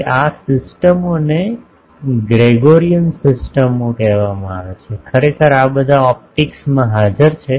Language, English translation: Gujarati, Now, these systems are called Gregorian systems actually these are all present in optics